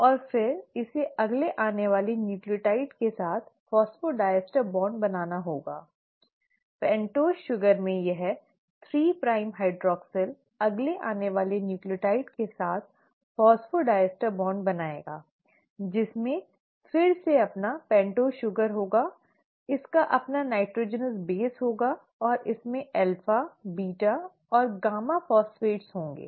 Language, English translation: Hindi, And then it has to form phosphodiester bond with the next incoming nucleotide; this 3 prime hydroxyl in the pentose sugar will form the phosphodiester bond with the next incoming nucleotide which again will have its own pentose sugar, will have its own nitrogenous base and will have alpha, beta and gamma phosphates